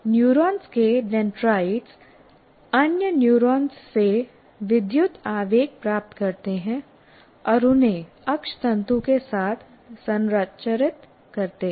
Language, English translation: Hindi, Dendrites of neurons receive electrical impulses from other neurons and transmit them along the axon